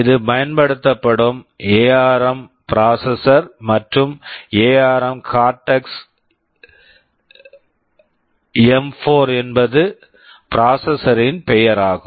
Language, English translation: Tamil, This is the ARM processor that is used and the name of the processor is ARM Cortex M4